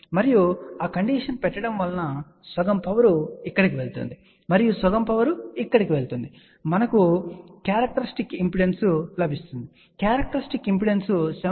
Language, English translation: Telugu, And by putting that condition that half power goes here and half power goes here, we get the characteristic impedance to be equal to 70